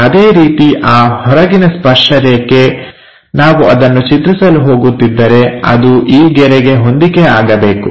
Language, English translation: Kannada, Similarly, the extreme tangent, if we are going to draw is supposed to match with this line